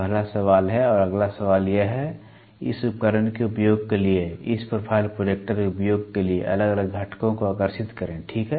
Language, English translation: Hindi, Is the first question, and the next question is draw different components for this profile projector usage, for this instrument usage, ok